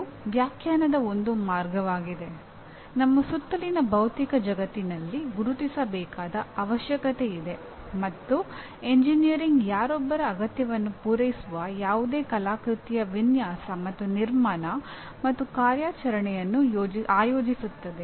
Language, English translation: Kannada, This is one way of definition that there is a need that is identified in the physical world around us and engineering is organizing the design and construction and operation of any artifice that meets the requirement of somebody